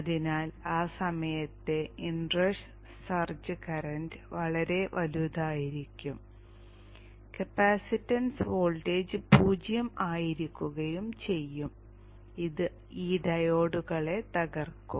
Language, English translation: Malayalam, So the search current, the inner charge current at the time when the capacitance voltage is zero can be pretty large which may which can blow up these diodes